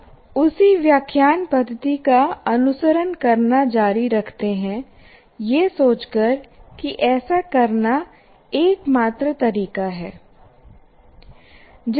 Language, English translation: Hindi, We continue to follow the same lecturing method thinking that is the only way to do